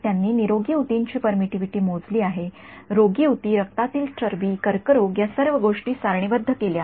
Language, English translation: Marathi, They have calculated permittivity for healthy tissue unhealthy tissue blood fat cancer all of this thing is tabulated